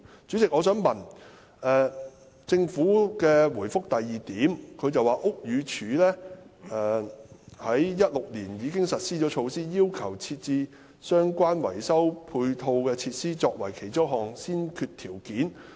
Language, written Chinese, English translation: Cantonese, 主席，政府在主體答覆第二部分指出，屋宇署在2016年年初已實施措施，要求設置相關維修的配套設施作為其中一項先決條件。, President the Government points out in part 2 of the main reply that in early 2016 the Buildings Department already implemented a measure that makes the provision of ancillary maintenance facilities one of the requirements that must be satisfied